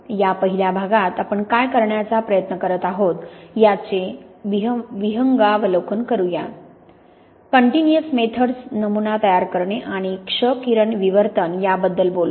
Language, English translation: Marathi, In this first part we will make an overview of what we are trying to do, talk about continuous methods, sample preparation and X ray diffraction